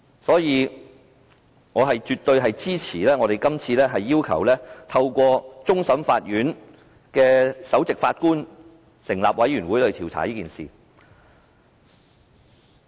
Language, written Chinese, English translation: Cantonese, 所以，我絕對支持，今次要求透過終審法院首席法官組成調查委員會調查此事。, Therefore I absolutely support requesting the Chief Justice of the Court of Final Appeal to form an investigation committee on this matter